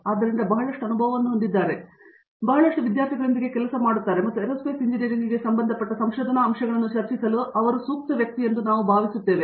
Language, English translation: Kannada, So, he has a lot of you know experience, worked with a lot of students and so we feel he is ideally suited to discuss research aspects associated with Aerospace Engineering